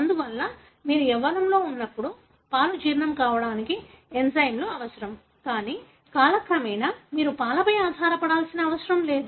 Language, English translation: Telugu, Therefore you need enzymes to digest milk when you are young, but with time you do not need to be dependent on the milk